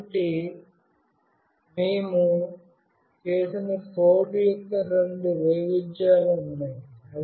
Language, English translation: Telugu, So, there are two variation of the code that we have done